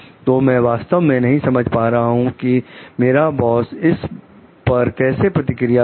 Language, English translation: Hindi, So, I am really not understanding how my boss is going to react to it